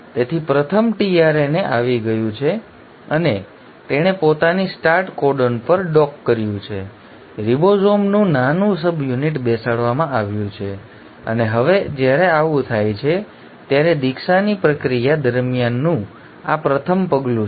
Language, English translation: Gujarati, So the first tRNA has come and it has docked itself onto the start codon, the small subunit of ribosome has come in sitting, and now when this happens, this is the first step during the process of initiation